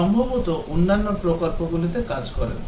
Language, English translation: Bengali, Possibly work in other projects and so on